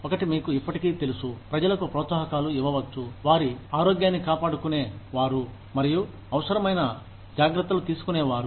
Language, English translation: Telugu, One can still, you know, give incentives to people, who maintain their health, and who take the necessary precautions